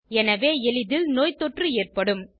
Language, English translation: Tamil, So, they are susceptible to infections